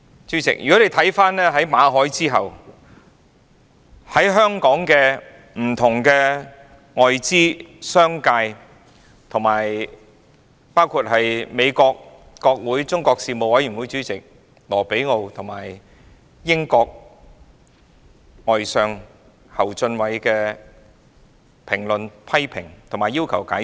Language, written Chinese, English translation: Cantonese, 主席，在馬凱事件後，香港的不同外資及商界人士，以至美國國會中國事務委員會主席魯比奧和英國外相侯俊偉，均就事件作出評論和批評，並要求解釋。, President after the MALLET incident Hong Kongs foreign investors and business sector as well as Chairman of the Congressional - Executive Commission on China Marco RUBIO and British Foreign Secretary Jeremy HUNT have all made comments and criticisms about the incident and demanded an explanation